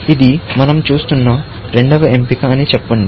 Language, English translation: Telugu, Let us say this is the second option, we are looking at